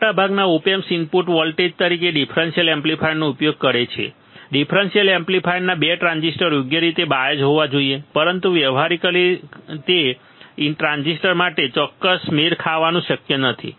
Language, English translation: Gujarati, Most of the op amps use differential amplifier as a input voltage the 2 transistors of the differential amplifier must be biased correctly, but practically it is not possible to get exact matching of those transistors